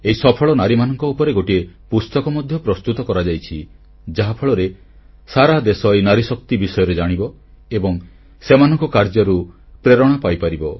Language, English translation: Odia, A book has beencompiled on these women achievers, first ladies, so that, the entire country comes to know about the power of these women and derive inspiration from their life work